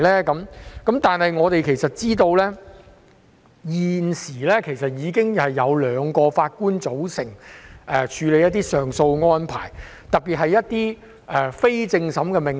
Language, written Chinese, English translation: Cantonese, 但是，其實我們也知道，現時已經有兩名法官組成處理上訴案件的安排，特別是針對一些非正審命令。, Nonetheless as we are actually also cognisant the 2 - Judge bench arrangement is already applicable to some appeal cases especially those concerning interlocutory orders